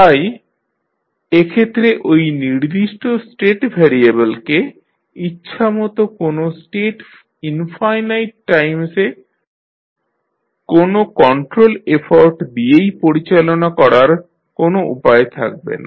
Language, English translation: Bengali, So, in that case there will be no way of driving that particular state variable to a desired state infinite times by means of any control effort